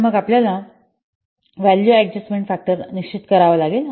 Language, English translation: Marathi, So then we have to determine the value adjustment factor